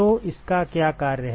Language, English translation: Hindi, So, what is it function of